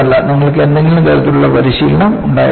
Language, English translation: Malayalam, You will have to have some kind of training